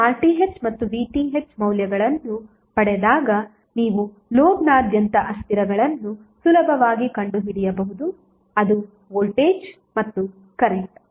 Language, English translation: Kannada, So When you get the values of RTh and VTh you can easily find out the variables across the load